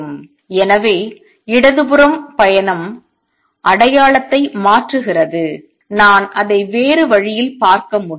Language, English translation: Tamil, So, travels to the left the sign changes, I can look at it another way